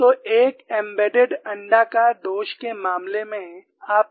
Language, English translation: Hindi, So, in the case of an embedded elliptical flaw, what do you find